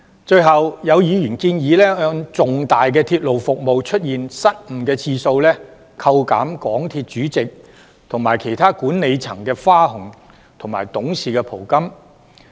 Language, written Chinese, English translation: Cantonese, 最後，有議員建議按重大鐵路服務出現失誤的次數，扣減港鐵公司主席及其他管理層的花紅及董事袍金。, Finally some Members suggest that the bonus and the amount of directors fee of the MTRCL Chairman and the senior management should be deducted based on the number of major railway service disruptions